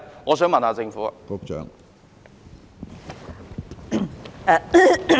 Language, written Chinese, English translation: Cantonese, 我想問問政府。, I would like to ask the Government